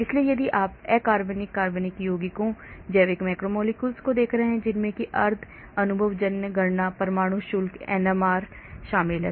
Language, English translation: Hindi, so if you are looking at inorganic, organic compounds, biological macromolecules including semi empirical calculations atomic charges NMR